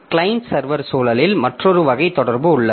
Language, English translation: Tamil, Then in case of client server environment, so there is another type of communication